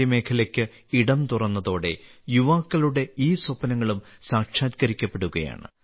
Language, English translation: Malayalam, After space was opened to the private sector, these dreams of the youth are also coming true